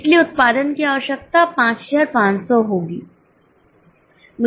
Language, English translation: Hindi, So, production requirement will be 5,500